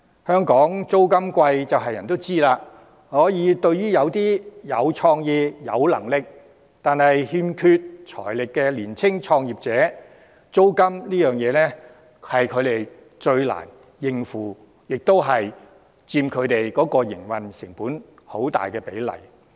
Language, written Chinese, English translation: Cantonese, 香港租金高昂眾所周知，對於一些有創意、有能力，但欠缺財力的年輕創業者，租金是他們最難應付的問題，佔營運成本很大比例。, As we all know rents are high in Hong Kong . To some creative and capable young entrepreneurs who lack financial backing their greatest problem is rent payment which accounts for a high proportion of operating costs